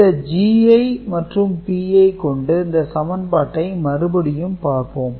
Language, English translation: Tamil, Now with this G i and P i right, we try to revisit the equation